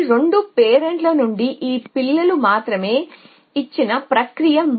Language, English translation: Telugu, As this process as a given only these 2 children from this to parents